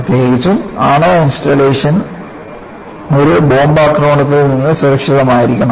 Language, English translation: Malayalam, Particularly, nuclear installations should be safe from a bomb attack